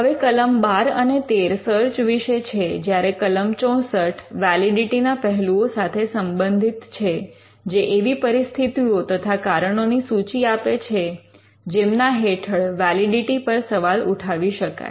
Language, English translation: Gujarati, Now section 12 and 13 deals with aspects of search aspects of validity are dealt in section 64, which lists the grounds on which a validity can be questioned